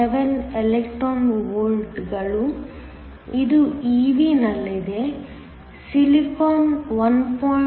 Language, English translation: Kannada, 7 electron volts, this is in ev, Silicon is 1